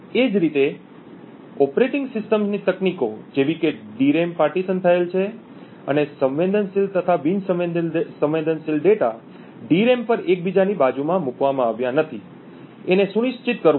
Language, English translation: Gujarati, Similarly, techniques in the operating system like ensuring that the DRAM is partitioned, and sensitive and non sensitive data are not placed adjacent to each other on the DRAM